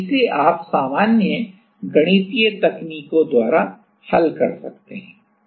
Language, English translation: Hindi, And, by doing a solution or you can solve it by the usual mathematical techniques